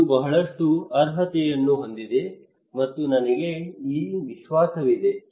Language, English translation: Kannada, It has lot of merit, and I have this confidence